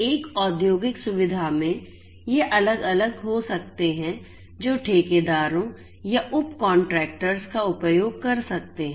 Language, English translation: Hindi, There could be different in an industrial facility, there could be different let us say contractors or subcontractors who could be using